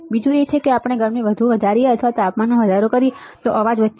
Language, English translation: Gujarati, Second is if we increase the heat more or increase the temperature, the noise will increase